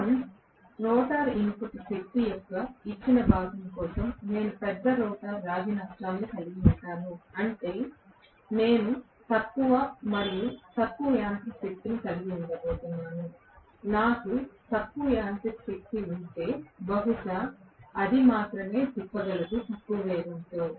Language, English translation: Telugu, For a given chunk of total rotor input power, I will have larger chunk of rotor copper losses, which means I am going to have less and less mechanical power, if I have a less mechanical power in all probably it will be able to rotate only at the lower speed